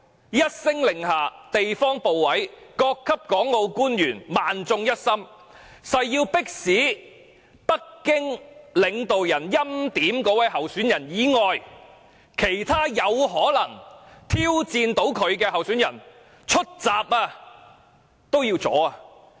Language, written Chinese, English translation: Cantonese, 一聲令下，地方部委、各級港澳官員萬眾一心，誓要迫使有可能挑戰北京領導人所欽點的那位候選人的其他候選人出閘，加以阻攔。, Once an order has been given local ministries and various officials responsible for Hong Kong and Macao affairs would work together to make sure that any candidate who may challenge the candidate preordained by Beijing leaders will not be able to get nominations and run in the race